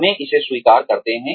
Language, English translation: Hindi, Let us admit it